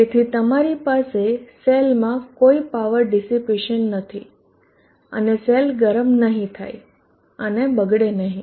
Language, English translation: Gujarati, Thereby you will not have any power dissipation within the cell and the cell would not get hot and detariate